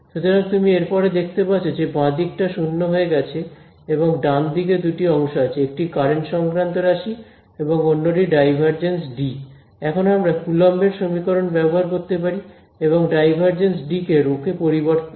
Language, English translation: Bengali, So, that is it then you can see the left hand side becomes 0 and the right hand side has both the current term over here and del dot D; del dot D we can use our Coulomb’s equation and converted to rho right